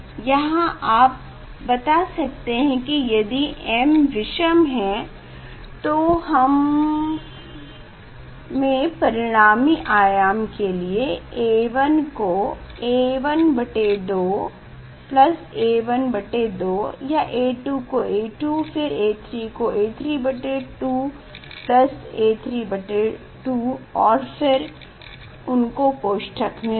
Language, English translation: Hindi, here you can show you can if it is odd you see I can write A 1 is A 1 by 2 A 2 is A 1 by 2 plus A 1 by 2 A 2 A 3 A 3 by 2 A 3 by 2 this I put in a bracket